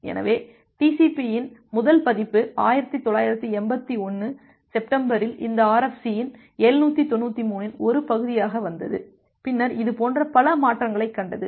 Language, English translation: Tamil, So, the first version of TCP came in September 1981 as a part of this RFC 793, and then it has seen many such changes